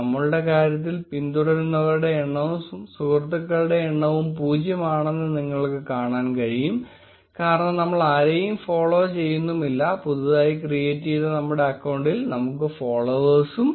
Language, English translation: Malayalam, You will notice that in our case the number of followers and the number of friends is equal to 0, because we are not following anyone and we do not have any followers yet in our freshly created account